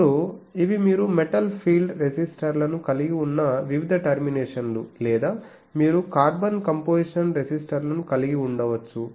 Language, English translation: Telugu, Now, these are the various terminations you can have metal film resistors or you can have carbon composition resistors etc